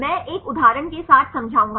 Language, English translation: Hindi, I will explain with one example